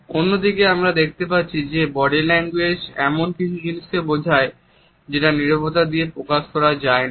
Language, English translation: Bengali, On the other hand, we find that the body language suggests something which is not being communicated through the silence